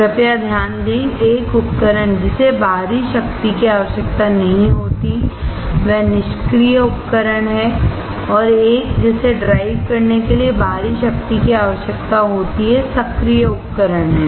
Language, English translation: Hindi, Please note that a device that does not require external power are passive devices and one that requires external power to drive are active devices